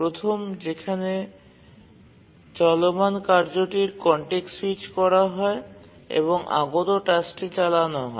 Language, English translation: Bengali, One, the running task is context switched and the arriving task is taken up for running